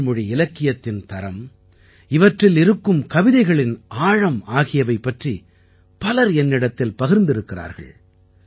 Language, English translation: Tamil, Many people have told me a lot about the quality of Tamil literature and the depth of the poems written in it